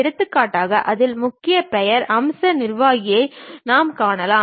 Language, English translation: Tamil, For example, in that we might come across a keyword name feature manager